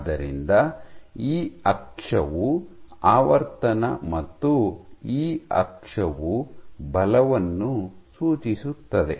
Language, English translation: Kannada, So, this axis is frequency this axis is force